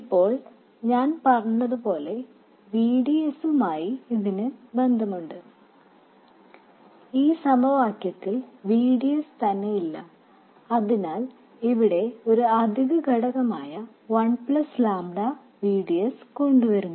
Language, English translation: Malayalam, It turns out that like I said there is a dependence on VDS whereas this equation has no VDS at all and that is introduced by an additional factor 1 plus lambda VDS